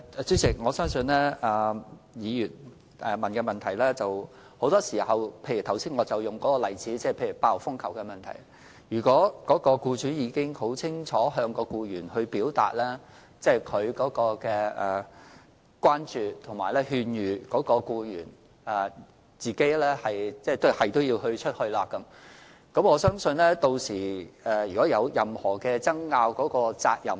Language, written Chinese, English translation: Cantonese, 主席，我相信議員的補充質詢是：就剛才列舉的8號風球懸掛時的情況為例，如果僱主已經很清楚向僱員表達他的關注，並予以勸諭，但僱員仍堅持外出，之後若有任何爭拗，責任該應由誰人承擔。, President I believe the Members supplementary question is When typhoon signal No . 8 is hoisted if an employer has explicitly indicated his concern to his FDH and advised her not to go out yet the FDH still insisted ongoing out who should bear the responsibility should any dispute arise later?